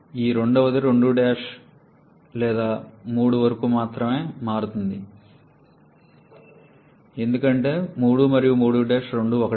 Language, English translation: Telugu, This particular one varies from 2 prime to 3 prime or 3 because 3 and 3 prime both are same 3 prime